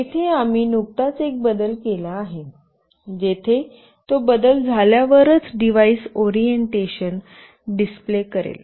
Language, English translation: Marathi, Here we have just made one change, where it will display the orientation of the device only when there is a change